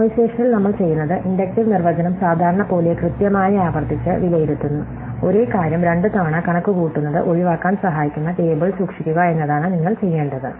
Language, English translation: Malayalam, So, in memoization what we do is, we evaluate the inductive definition recursively exactly as we would normally, the only thing is we keep a table which helps us to avoid having to compute the same thing twice